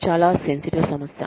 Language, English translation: Telugu, Very sensitive issue